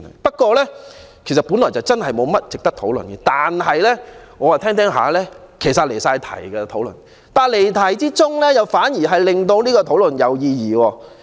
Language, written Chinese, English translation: Cantonese, 本來議案的確沒有甚麼值得討論，但我越聽越覺得離題，而離題又反而令這項辯論有意義。, The motion was originally not worth discussing but as I listened to Members speeches I noted that they had deviated from the topic . And such deviation has instead made this motion meaningful